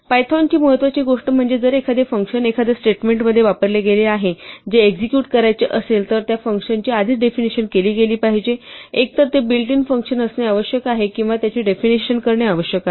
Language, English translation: Marathi, But one of things that python would insist is that if a function is used in a statement that has to be executed that function should have been defined already; either it must be a built in function or its definition must be provided